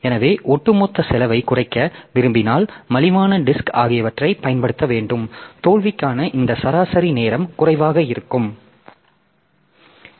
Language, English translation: Tamil, So, if you want to reduce the overall cost then we have to use inexpensive disk and inexpensive disk if we use then this mean time to failure will be low